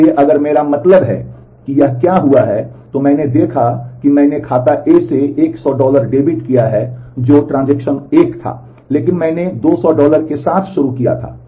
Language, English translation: Hindi, So, if I mean just this look at what has happened, it has I have debited 100 dollar from account A which was transaction 1, but and here I had started with 200 dollar